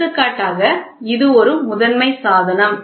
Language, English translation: Tamil, For example this is a primary device